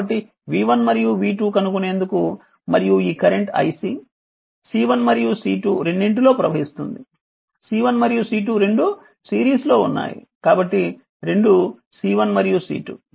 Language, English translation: Telugu, So, you have to find out v 1 and v 2 right and this current i C is showing to both to your for C 1 and C 2 both are in series so, both C 1 and C 2